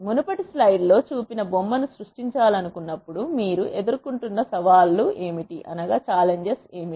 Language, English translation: Telugu, What are the challenges that you face when you want to create figure that was shown in the earlier slide